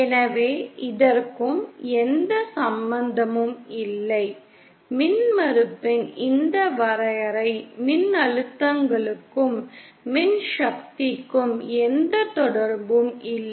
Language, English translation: Tamil, So this has nothing to do, this definition of impedance has nothing to do with voltages and currents